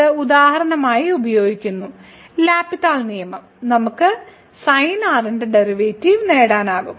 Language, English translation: Malayalam, So, this is using the for example, L Hopital’s rule we can get the derivative of sin